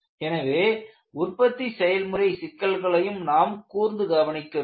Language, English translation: Tamil, So, you will have to equally address the manufacturing issues